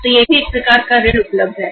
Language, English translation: Hindi, So that is also a sort of credit available